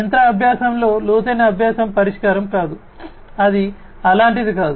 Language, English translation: Telugu, It is not the deep learning is the solution in machine learning, it is not like that, right